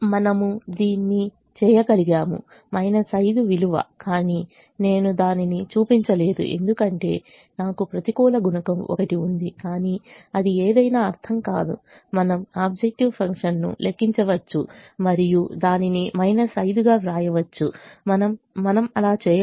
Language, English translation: Telugu, minus five is the value, but i have i have not shown it because i have one with the negative coefficient, but that doesn't mean anything we can calculate the objective function and write it as minus five